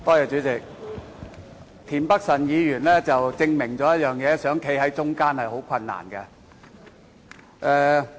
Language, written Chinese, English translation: Cantonese, 主席，田北辰議員證明了一件事：要站在中間是很困難的。, President Mr Michael TIEN has proved one thing that is it is difficult to adopt a neutral stand